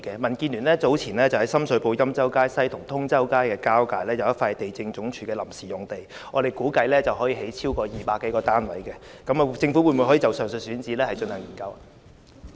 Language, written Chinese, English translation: Cantonese, 民建聯早前在深水埗欽州街西和通州街交界發現一幅地政總署的臨時用地，我們估計可以興建200多個單位，政府可否就上述選址進行研究？, Recently the Democratic Alliance for the Betterment and Progress of Hong Kong has identified a temporary site under the Lands Department at the intersection of Yen Chow Street West and Tung Chau Street in Sham Shui Po on which by our estimate some 200 units can be built